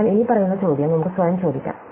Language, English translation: Malayalam, So, let us ask ourselves the following question